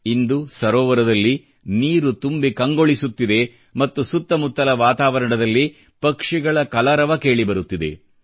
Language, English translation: Kannada, The lake now is brimming with water; the surroundings wake up to the melody of the chirping of birds